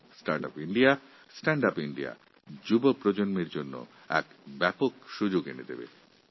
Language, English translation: Bengali, "Startup India, Standup India" brings in a huge opportunity for the young generation